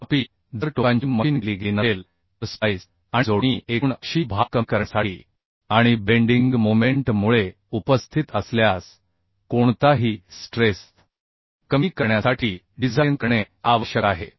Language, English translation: Marathi, However if the ends are not machined then the splice and connections are to design to resist the total axial load and any tension if present due to the bending moment